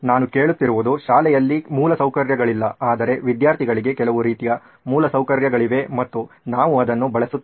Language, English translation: Kannada, What I am hearing is that schools do not have the infrastructure, but students do have some kind of infrastructure and we will use that